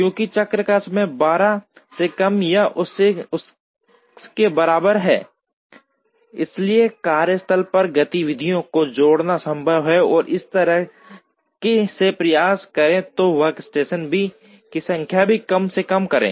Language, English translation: Hindi, Since, the cycle time is less than or equal to 12, it is possible to add activities to workstations and thereby try and minimize the number of workstations